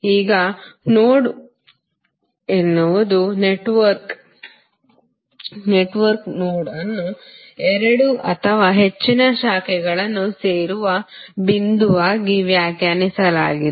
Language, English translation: Kannada, Now, node is the network node of a network is defined as a point where two or more branches are joined